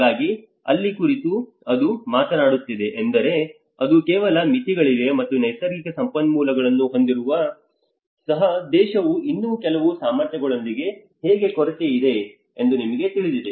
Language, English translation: Kannada, So which means that is where it is talking about where there is certain limitations and even having natural resources, how the country is still lacking with some abilities you know how the capacities